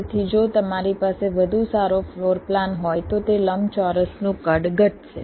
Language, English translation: Gujarati, so if you can have a better floor plan, your that size of the rectangle will reduce